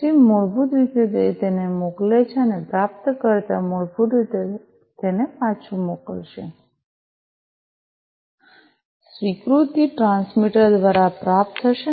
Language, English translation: Gujarati, Then basically it sends it and the receiver basically will send it back, the acknowledgement will be received by the transmitter